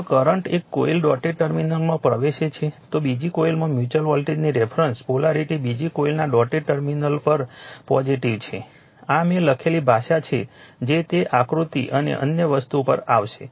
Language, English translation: Gujarati, If a current enters the dotted terminal of one coil , the reference polarity of the mutual voltage in the second coil is positive at the dotted terminal of the second coil, this is the language I have written that you will come to that figure and other thing